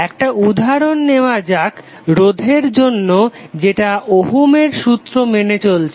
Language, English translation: Bengali, Let us take the example for 1 resistor it is following Ohm’s law